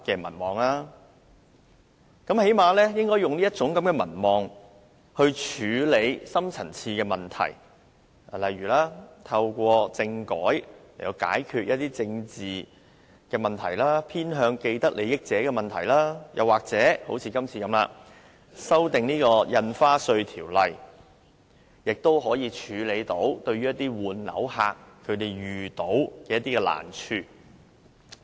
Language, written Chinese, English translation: Cantonese, 她最低限度應利用其民望處理深層次問題，例如透過政改解決一些政治問題、偏向既得利益者的問題，或正如今次會議般修訂《印花稅條例》，以解決換樓客遇到的難題。, At least she should make use of her popularity to deal with deep - seated problems such as resolving political issues through a constitutional reform resolving problems of being partial to those with vested interests as well as amending the Stamp Duty Ordinance as is now being done to resolve the difficulties encountered by people replacing their residential properties